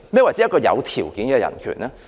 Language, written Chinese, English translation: Cantonese, 何謂"有條件的人權"呢？, What is meant by conditional human right then?